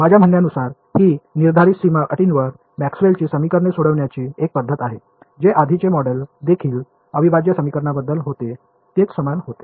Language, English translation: Marathi, I mean it is a method of solving Maxwell’s equations with prescribed boundary conditions, which is what the earlier model was also about integral equations was also the same thing